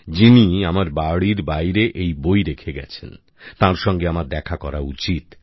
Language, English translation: Bengali, I should meet the one who has left the book outside my home